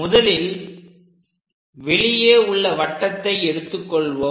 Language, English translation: Tamil, So, let us pick the outer circle, this one